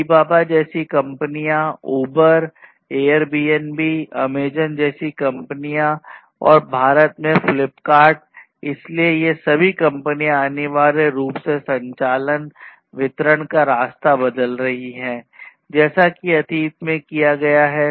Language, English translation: Hindi, Companies like Alibaba, companies like Uber, Airbnb, Amazon and Flipkart in India, so all of these companies are basically essentially transforming the way the operations, delivery, etc have been carried on in the past